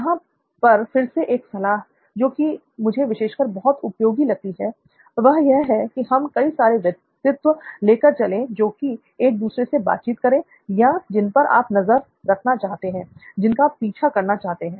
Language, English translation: Hindi, Now again a tip here which I found it particularly useful is to have multiple personas who will be interacting with or whom you are going to track, whom you’re going to shadow